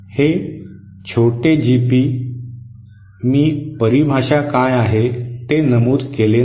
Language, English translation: Marathi, This small GP, I did not mention what is the definition